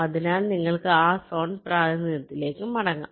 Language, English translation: Malayalam, so you can just go back to that zone representation between